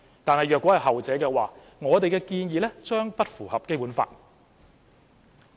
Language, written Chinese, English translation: Cantonese, 但如果是後者，我們的建議將不符合《基本法》。, If the latter stands our proposal will not be in compliance with the Basic Law